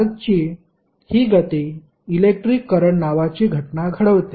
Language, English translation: Marathi, This motion of charge creates the phenomena called electric current